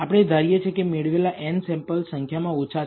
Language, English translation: Gujarati, We assume we have small n number of samples that we have obtained